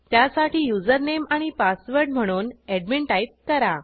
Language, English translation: Marathi, So I will type the username and password as admin.Then click on Sign In